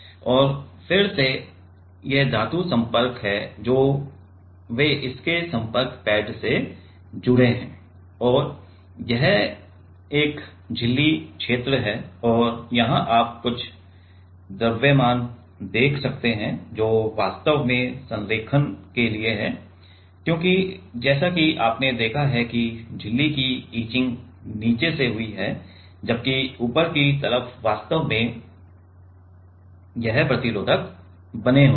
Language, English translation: Hindi, And then these are the metal contacts which are they connected to its contact pads and this is a membrane region and there you can see some mass which are actually for alignment because as you have seen that the etching of the membrane happened from the bottom whereas, the top side actually this resistors are made